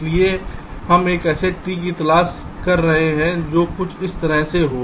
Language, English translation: Hindi, so so what we are looking for is a tree which is something like this